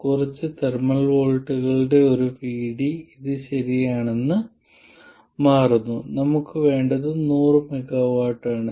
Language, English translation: Malayalam, For a VD of a few thermal voltages this turns out to be correct, so So, a couple of 100 millivolts is all we need